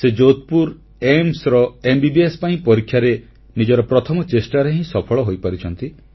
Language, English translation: Odia, In his maiden attempt, he cracked the Entrance exam for MBBS at AIIMS, Jodhpur